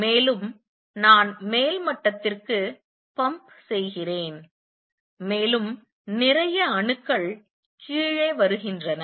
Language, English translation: Tamil, More I pump to upper level, more the more atoms come down